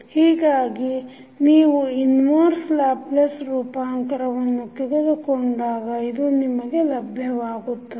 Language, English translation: Kannada, So, when you take the inverse Laplace transform what you get